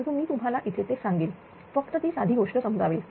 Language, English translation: Marathi, But here I will tell you that just I will explain that simple thing